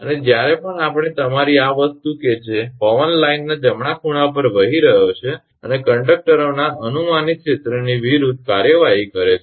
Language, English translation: Gujarati, And whenever we are your this thing that the wind is blowing at right angles of the line and to act against the projected area of the conductors